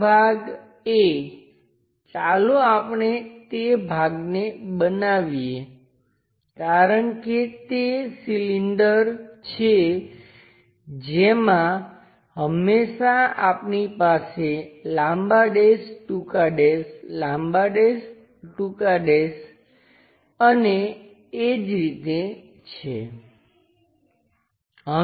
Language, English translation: Gujarati, This part A, let us call that part because it is a cylinder we always have long dash, short dash, long dash, short dash and so on